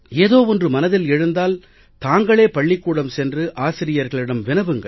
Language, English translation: Tamil, And if something strikes your attention, please go to the school and discuss it with the teachers yourself